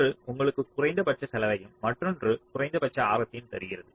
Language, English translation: Tamil, one will give you minimum radius, other will give you minimum cost